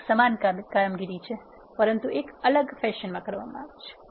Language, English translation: Gujarati, This is same operation, but done in a different fashion